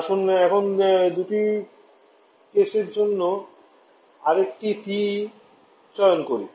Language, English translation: Bengali, Let us can choose another TE for case number two